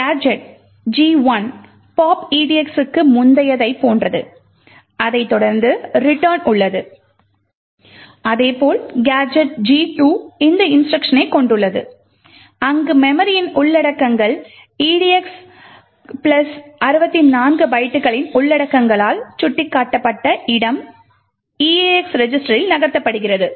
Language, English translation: Tamil, The gadget G1 comprises as before of the pop edx followed by return while the gadget G2 comprises of this instruction where the contents of the memory location pointed to by the contents of edx plus 64 bytes is moved into the eax register